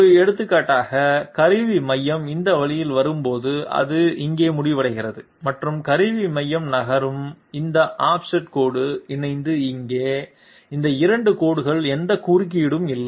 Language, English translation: Tamil, For example, when the tool Centre is coming this way, it ends here and the tool Centre is moving along here along this offset line, these 2 lines do not have any intersection